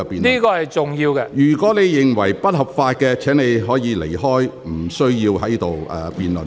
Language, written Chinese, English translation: Cantonese, 張超雄議員，如果你認為這是不合法的，你可以離開，無須在此辯論。, Dr Fernando CHEUNG if you think that the legislature is unlawful you may leave and need not join us in the debate here